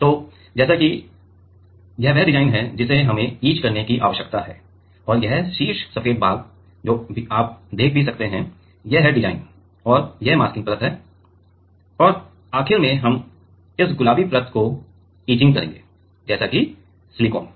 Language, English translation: Hindi, So, let us say this is the design we need to etched and this top white portion whatever you can see here; these are the, this is the design right and this is the masking layer and ultimately we are etching this pink layer which is which let us say is silicon